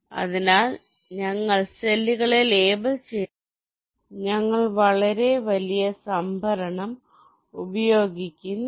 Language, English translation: Malayalam, so we are not labeling cells, we are not using very large storage, only in